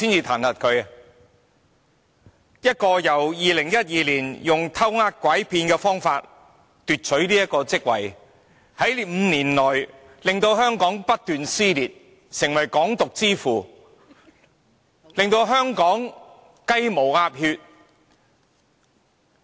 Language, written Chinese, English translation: Cantonese, 梁振英在2012年以"偷呃拐騙"的方法奪取特首一職 ，5 年來令香港社會不斷撕裂，成為"港獨之父"，令到香港"雞毛鴨血"。, In 2012 LEUNG Chun - ying won the Chief Executive Election by fraud and in the next five years he has incessantly created rifts in Hong Kong society . He is practically the Father of Hong Kong independence and has stirred up all kinds of troubles in Hong Kong